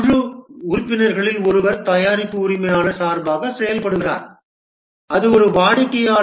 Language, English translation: Tamil, One of the team member acts as on behalf of the product owner that is a customer